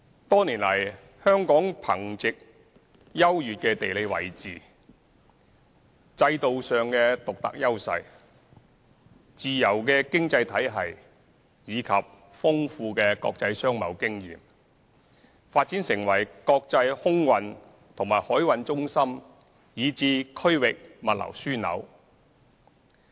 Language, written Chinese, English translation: Cantonese, 多年來，香港憑藉優越的地理位置、制度上的獨特優勢、自由的經濟體系及豐富的國際商貿經驗，發展成為國際空運和海運中心以至區域物流樞紐。, Over the years given its unique geographical position unique institutional advantages free economy and extensive international business experience Hong Kong has developed into an international air transport and maritime centre as well as a regional logistics hub